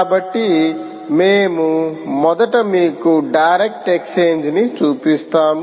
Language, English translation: Telugu, so we will first show you the direct exchange